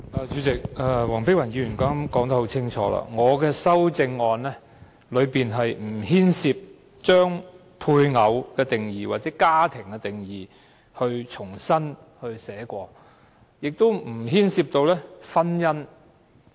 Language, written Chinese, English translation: Cantonese, 主席，黃碧雲議員剛才說得很清楚，我的修正案不牽涉重新撰寫"配偶"或"家庭"的定義，亦不牽涉婚姻。, Chairman as Dr Helena WONG has clearly pointed out my amendment does not involve redefining spouse or family nor does it involve marriage